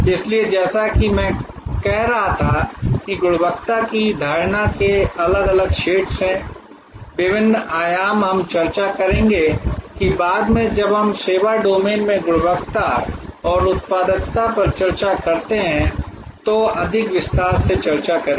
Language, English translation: Hindi, So, the quality perception as I was saying has the different shades, different dimensions we will discuss that in more detail later on when we discuss quality and productivity in the service domain